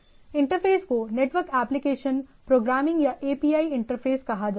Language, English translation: Hindi, So, this is the interface this sort of interface is called network API or Application Program Interface